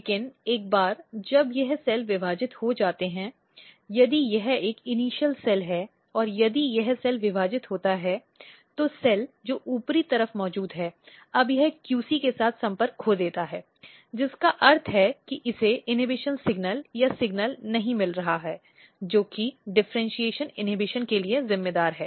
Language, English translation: Hindi, But once this cells divide, so let us assume if this is an initial cell and if this cell divide, the cell which is present at the upper side, now it loses the contact with the QC which means that it might not be getting the signal the inhibition signal or the signal which is responsible for differentiation inhibition